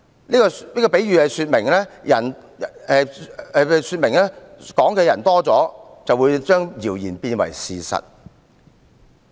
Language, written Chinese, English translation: Cantonese, 這個比喻說明，多了談論的人，便會把謠言變為事實。, This metaphor shows that a rumour can be turned into a fact when more and more people talk about it